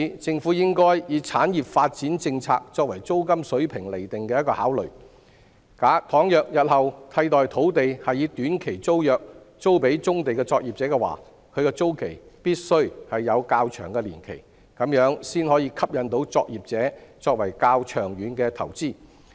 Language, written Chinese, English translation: Cantonese, 政府應該以產業發展政策作為租金水平釐定的考慮，倘若日後替代土地是以短期租約租予棕地作業者，其租期必須有較長年期，這樣才可以吸引作業者作較長遠的投資。, The Government should take the industrial development policies into consideration when deciding on the rental level . If alternative sites are rented to operators operating on brownfield sites in future on short - term leases the rental period must be longer so as to attract long - term investment by operators